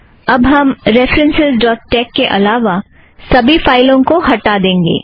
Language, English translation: Hindi, Let us first delete all files except references.tex